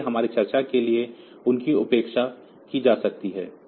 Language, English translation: Hindi, So, they can be neglected for our discussion